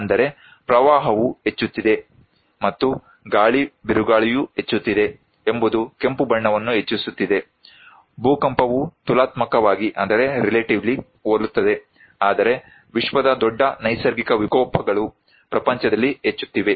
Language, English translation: Kannada, That is for sure that flood is increasing and windstorm is also increasing has increasing red, earthquake is relatively similar but great natural disaster in the world are really increasing